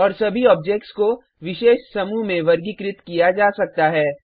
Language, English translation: Hindi, And All the objects can be categorized into special groups